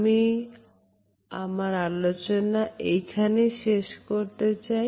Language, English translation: Bengali, So, I would end my discussion at this point